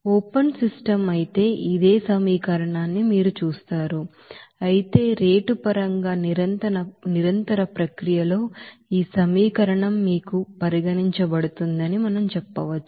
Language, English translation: Telugu, Whereas open system you will see that this the same equation, but in terms of rate, at a continuous process we can say that this equation will be you know considered